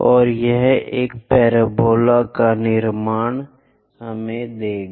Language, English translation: Hindi, So, 1, this is the way we construct a parabola